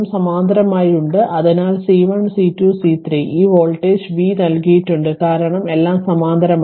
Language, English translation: Malayalam, So, at volt C 1 C 2 C 3 what you call this voltage is given v because all are in parallel right